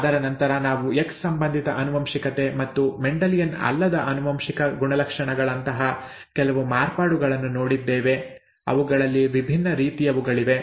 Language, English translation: Kannada, After that we saw some variations such as X linked inheritance of disorders and the non Mendelian inheritance characteristics, very many different kinds of those, okay